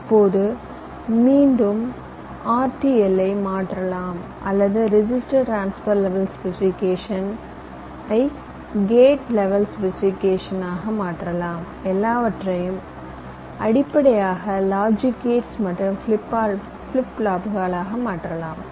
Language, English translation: Tamil, now again, in the next step you can translate this r t l or register transfer levels specification to gate level specification, where you translate everything into basic logic gates and flip flops